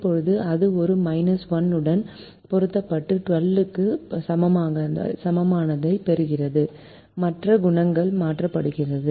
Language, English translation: Tamil, now that is multiplied with a minus one to get a less than equal to minus twelve, and the coefficients are changed